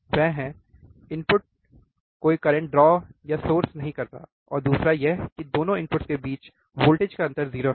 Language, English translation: Hindi, that one is the inputs draw or source no current, and second the voltage difference between 2 input is 0